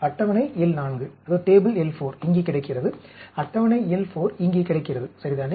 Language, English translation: Tamil, If I have that table L 4 is available here, table L 4 is available here, ok